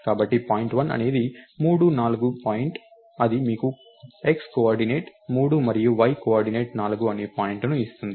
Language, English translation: Telugu, So, point1 is make point of 3 comma 4, this will give you a point whose x coordinate is 3 and y coordinate is 4